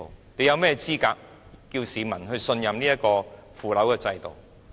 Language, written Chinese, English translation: Cantonese, 你們有甚麼資格要求市民信任這個腐朽的制度？, How can you be qualified to ask the public to trust this most depraved system?